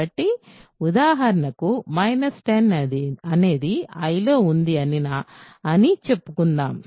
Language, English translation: Telugu, So, if for example, minus 10 let us say is an I